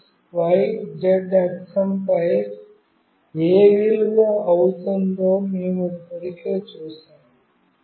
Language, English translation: Telugu, We have already seen that what value will receive on x, y, z axis